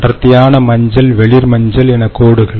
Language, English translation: Tamil, ok, dark yellow, light yellow and so on